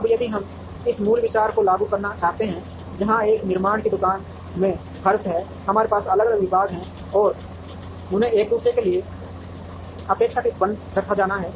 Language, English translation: Hindi, Now, if we want to apply this basic idea to practice where in a manufacturing shop floor, we have different departments and they have to be placed relatively closed to each other